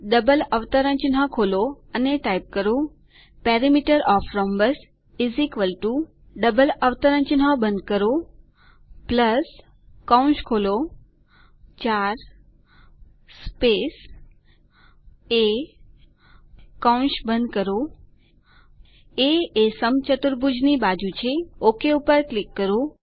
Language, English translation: Gujarati, Open the double quotes() type Perimeter of the rhombus =+ close double quotes + open the brackets 4 space a close the brackets a is the side of the rhombus Click Ok